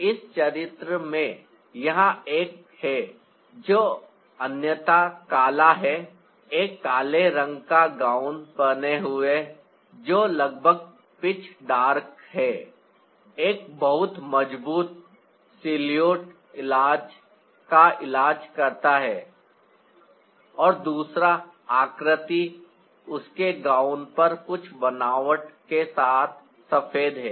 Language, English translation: Hindi, so in this character here is that is otherwise black, wearing a black gown which is almost peach, dark, treating a strong, strong salute, and the other figure is white, with some texture on her gown